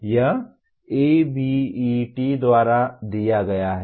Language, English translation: Hindi, This is as given by ABET